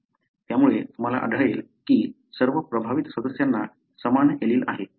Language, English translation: Marathi, So, you find that, all affected members, having the same allele